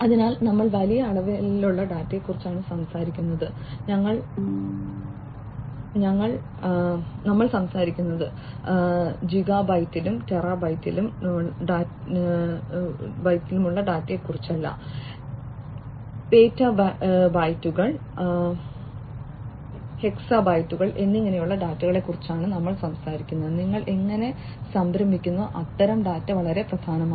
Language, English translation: Malayalam, So, we are talking about huge volumes of data, we are talking about data not just in gigabytes and terabytes, we are talking about petabytes, hexabytes and so on of data, how do you store, that kind of data that is very important